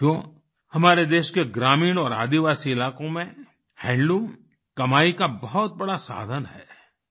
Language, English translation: Hindi, Friends, in the rural and tribal regions of our country, handloom is a major source of income